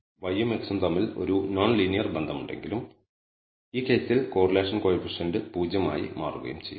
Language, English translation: Malayalam, So, these will cancel each other out exactly and will turn out that the correlation coefficient in this case is 0 although there is a non linear relationship between y and x